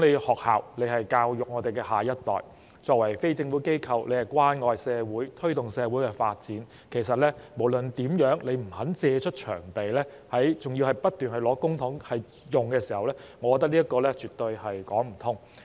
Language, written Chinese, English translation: Cantonese, 學校教育我們的下一代，作為非政府機構，應關愛社會，推動社會發展，若不肯借出場地，還要不斷領取公帑，我覺得這樣絕對說不通。, Educating our next generation schools as NGOs should care about the community and promote social development . In my view it is absolutely unjustifiable for them to keep receiving public money while refusing to make available their premises